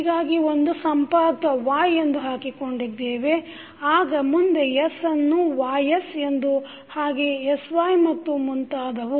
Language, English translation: Kannada, So, we will see y so we have put 1 node as Y then next is s into Ys so we have put sY and so on